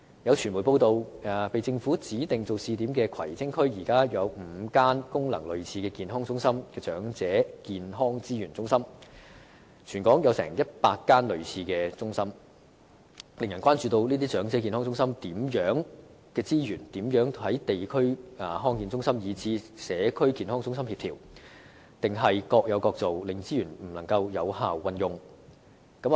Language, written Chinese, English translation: Cantonese, 有傳媒報道，被政府指定為試點的葵青區，現時便有5間功能類似健康中心的長者健康資源中心，全港則共有100間類似中心，令人關注到這些長者健康中心的資源如何能夠與地區康健中心，以至社區健康中心協調，抑或只是各有各做，令資源不能有效運用？, There are media reports disclosing that in Kwai Tsing District designated by the Government for implementing the pilot scheme there are already five elderly health and resources centres similar to the health centres and there are a total of 100 similar centres across the territory . This has aroused concern about how the resources of these elderly health centres can be coordinated with the district health centres and even CHCs . Or will they only provide services on their own separately hence precluding effective utilization of the resources?